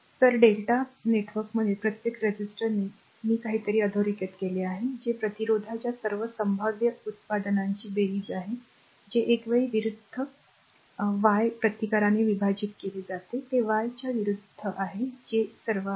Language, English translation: Marathi, So, each resistor in the delta network I made something underline, that is a sum of all possible products of star resistance take into 2 at a time divided by the opposite your Y resistance that opposite Y that that is all right